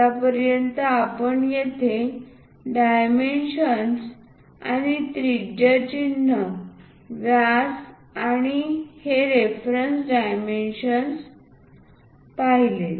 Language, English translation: Marathi, As of now we will look at here dimensions and radius symbols, diameters and these reference dimensions